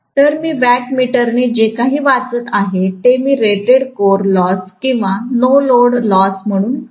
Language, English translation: Marathi, So, whatever is the reading I am getting from the wattmeter I would call that as the rated core loss or no load loss